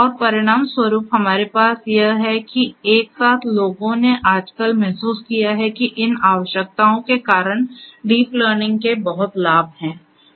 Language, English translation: Hindi, And consequently what we have is that together people have realized nowadays that deep learning has lot of benefits because of these necessities